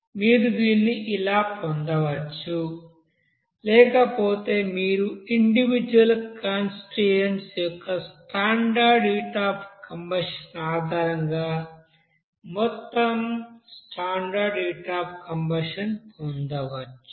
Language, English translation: Telugu, So like this you can get it or otherwise you can get the standard heat of you know combustion based on the standard heat of you know combustion of individual constituents